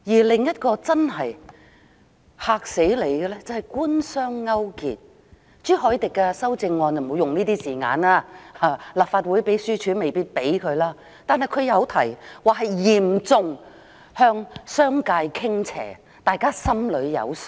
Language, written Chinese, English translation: Cantonese, 另一個真正"嚇死人"的問題是官商勾結，朱凱廸議員的修正案不會用這些字眼，立法會秘書處亦未必容許，但他提到嚴重向商界傾斜，大家便心裏有數。, Another problem which is really scary is the collusion between the Government and the business sector . While such wording is not used in Mr CHU Hoi - dicks amendment and the Legislative Council Secretariat may not necessarily allow it he has mentioned seriously tilted in favour of the business sector and we already have an answer in our mind